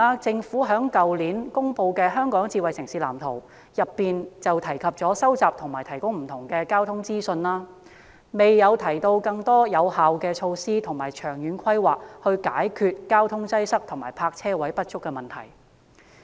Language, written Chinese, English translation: Cantonese, 政府去年公布了《香港智慧城市藍圖》，當中提及收集和提供不同的交通資訊，但未有提出更多有效措施和長遠規劃來解決交通擠塞及泊車位不足的問題。, The Smart City Blueprint for Hong Kong was released by the Government last year . The Blueprint talks about the collection and provision of different transportation data but there is no provision of more effective measures and long - term plans to resolve the problems of traffic congestion and inadequate parking spaces